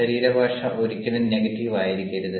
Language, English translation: Malayalam, the body language should never be ah negative